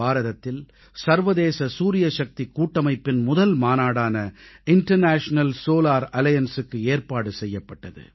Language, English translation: Tamil, The first General Assembly of the International Solar Alliance was held in India